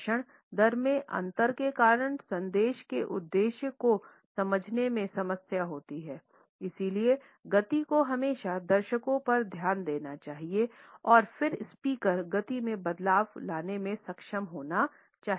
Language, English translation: Hindi, Difference in speech rate causes problems in understanding the intended message, therefore the speed should always focus on the audience and then the speaker should be able to introduce variations in the speed